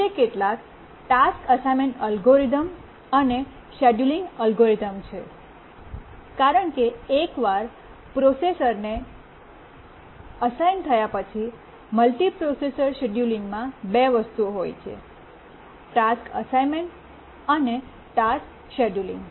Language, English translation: Gujarati, Now let's look at some task assignment algorithms and then we'll see the scheduling algorithms because the multiprocessor scheduling consists of two things the task assignment and also the task scheduling once they have been assigned to a processor